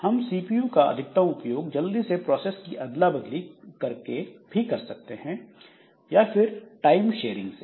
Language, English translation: Hindi, So, we can maximize the CPU usage so by quickly switch processes onto CPU for time sharing